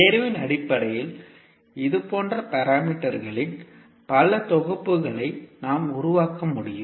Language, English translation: Tamil, So based on the choice we can generate many sets of such parameters